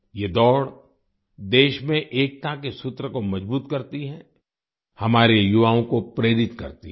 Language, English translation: Hindi, This race strengthens the thread of unity in the country, inspires our youth